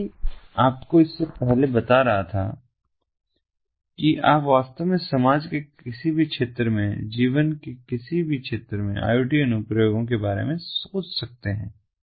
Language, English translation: Hindi, as i was telling you before, you can in fact think of iot applications in almost any sphere of the society, any sphere of life